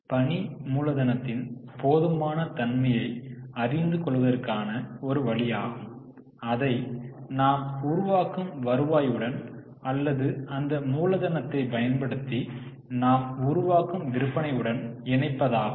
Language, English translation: Tamil, So, one way to know the adequacy of working capital is to link it to the revenue which we generate or the sales which we generate using that working capital